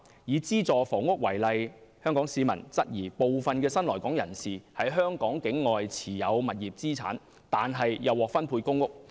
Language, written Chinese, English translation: Cantonese, 以資助房屋為例，香港市民質疑部分的新來港人士，在香港境外持有物業資產，卻又獲分配公屋。, Let us take subsidized housing as an example . Hong Kong residents doubt that some new arrivals are holding property assets outside Hong Kong but they are also given a PRH flat